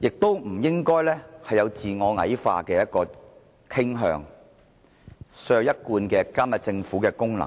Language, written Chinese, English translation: Cantonese, 大家不應該有自我矮化的傾向，削弱我們一貫監察政府的功能。, We should not be inclined to undermine our own power and weaken our long - held function to monitor the Government